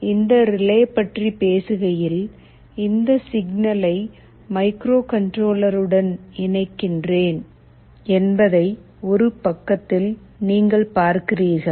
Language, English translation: Tamil, Now talking about this relay, you see on one side, you connect this signal to the microcontroller